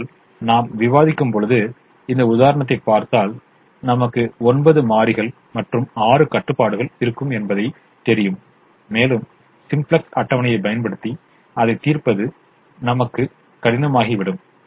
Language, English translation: Tamil, but if we look at this example that we are talking, we will have nine variables and six constraints and it would become difficult for us to solve it using the simplex table